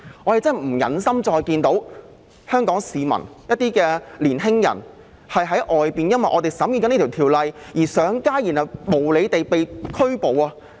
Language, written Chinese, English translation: Cantonese, 我們真的不忍心再看到香港市民及一些青年人因為我們現時審議這項《條例草案》而上街，最後被無理拘捕。, We can hardly bear to see Hong Kong citizens and some young people taking to the streets and being arrested unjustifiably because of the Bill we are now scrutinizing